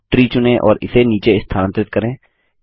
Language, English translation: Hindi, Let us select the tree and move it down